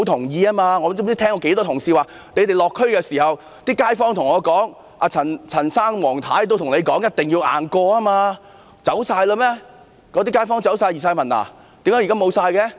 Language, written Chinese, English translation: Cantonese, 我不知多少次聽到同事表示，他們落區時，那些街坊如陳先生、黃太太都告訴他們一定要"硬過"，那些街坊全都走了嗎？, Right? . I have heard Honourable colleagues state on countless occasions that local residents such as Mr CHAN and Mrs WONG told them when they paid visits to the districts that they should pass the Bill by all means . Have all these residents left Hong Kong now?